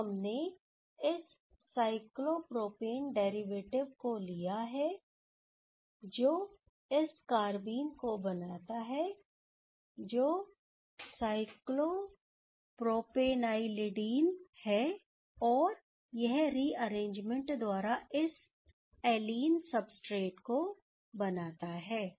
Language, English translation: Hindi, So, once we have taking this cyclopropane derivative, which can generated this carbenes that is the cyclopropenylidene rather, so that will goes via this rearrangement to provide this allene substrates ok